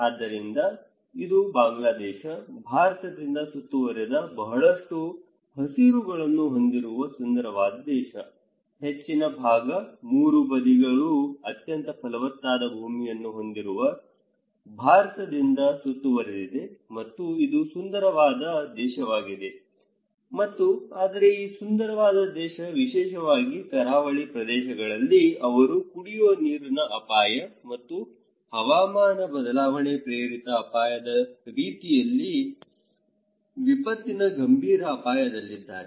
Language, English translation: Kannada, So, this is Bangladesh, a beautiful country with a lot of greens surrounded by India, most of the part, three sides are surrounded by India with one of the most fertile land and also is this is a beautiful country and but this beautiful country particularly, in the coastal areas, they are under serious threat of drinking water risk and climate change induced risk kind of disaster